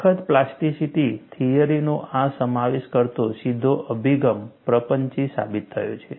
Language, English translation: Gujarati, A direct approach, incorporating rigorous plasticity theory has proven elusive